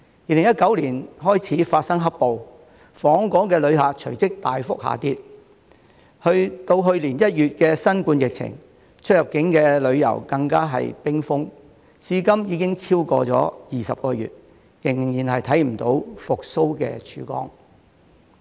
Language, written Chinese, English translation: Cantonese, 2019年開始發生"黑暴"，訪港旅客隨即大幅下跌，直至去年1月的新冠疫情，出入境旅遊更是冰封，至今已經超過20個月，仍然看不到復蘇的曙光。, With the onset of black - clad violence in 2019 the number of visitors to Hong Kong plummeted immediately . Fast forward to January last year inbound and outbound tourism activities were frozen due to the outbreak of the coronavirus pandemic . It has been more than 20 months now and there is still no sign of recovery